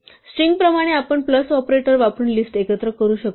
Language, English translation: Marathi, Like strings, we can combine lists together using the plus operator